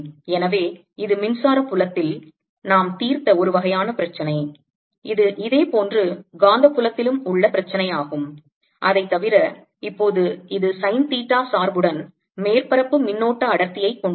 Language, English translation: Tamil, so this is a kind of problem that we solved in electric field and this is similar problem in the magnetic field, except that now it has a surface current density with sine theta dependence